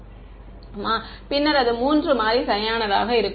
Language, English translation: Tamil, Then it will be three variable right